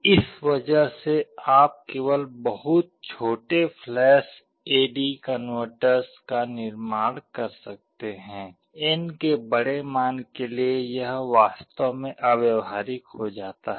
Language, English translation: Hindi, Because of this you can only build very small flash A/D converters, for larger values of n it becomes really impractical